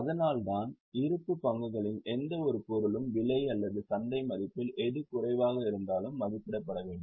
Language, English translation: Tamil, That is why any item of closing stock should be valued at cost or market value whichever is less